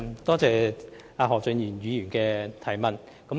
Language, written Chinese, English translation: Cantonese, 多謝何俊賢議員提出補充質詢。, Many thanks to Mr Steven HO for his supplementary question